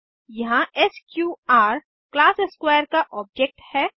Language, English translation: Hindi, Here, sqr is the object of class square